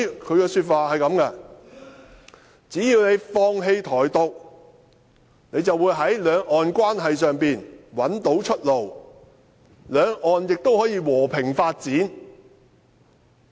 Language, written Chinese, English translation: Cantonese, 它的說法是："只要你放棄台獨，你便會在兩岸關係上找到出路，兩岸亦可以和平發展。, It only says As long as you give up Taiwan independence you will find a way out for cross - strait relations and there will also be peaceful development of cross - strait relationship